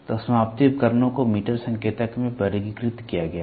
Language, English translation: Hindi, So, the terminating devices are it is they are classified into meter indicators